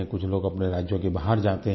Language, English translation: Hindi, Some people also go outside their states